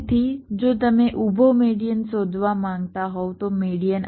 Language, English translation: Gujarati, so, vertically, if you you want to find out the median, the median will be this